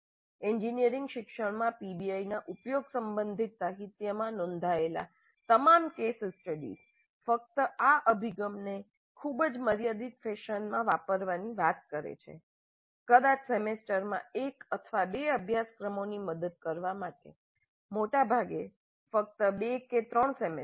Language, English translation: Gujarati, All the case studies reported in the literature regarding the use of PBI in engineering education only talk of using this approach in a very very limited fashion, probably to help one or two courses in a semester, most often only in two or 3 semesters